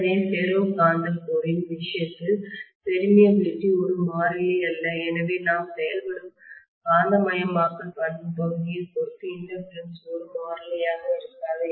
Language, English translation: Tamil, So, the permeability is not a constant in the case of the ferromagnetic core so inductance will not be a constant depending upon the magnetisation characteristic portion where we are operating